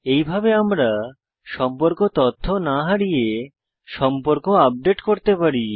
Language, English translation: Bengali, This way we can update the contacts without losing contact information